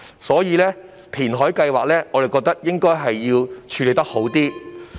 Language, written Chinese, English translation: Cantonese, 所以，我們覺得填海計劃要作更好處理。, Therefore we consider that the reclamation project has to be handled in a better way